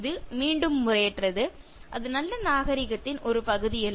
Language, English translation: Tamil, That is again impolite, that is not part of good mannerism